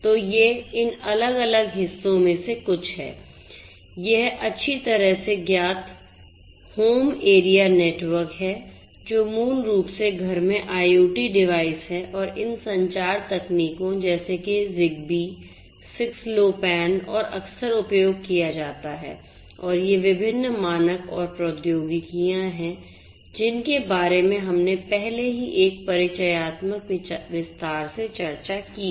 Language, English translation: Hindi, So, these are some of these different parts this is the well known ones are home area network, which is basically IoT devices in the home and for these communication technologies like Zigbee, 6LoWPAN and are often used and these are these different standards and technologies that we have already discussed in detail in an introductory lecture on IoT